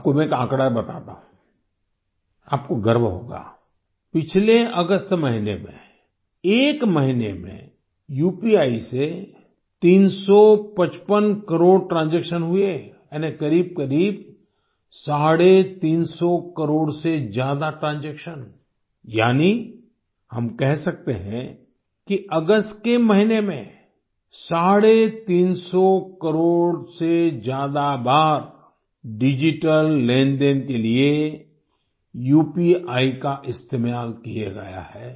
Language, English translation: Hindi, I will tell you a figure which will make you proud; during last August, 355 crore UPI transactions took place in one month, that is more than nearly 350 crore transactions, that is, we can say that during the month of August UPI was used for digital transactions more than 350 crore times